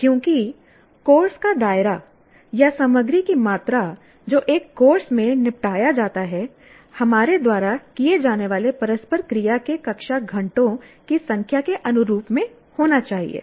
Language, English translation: Hindi, Because the level of the content, the scope of the course are the amount of content that is dealt with in a course should be commensurate with the number of classroom hour of interactions that we have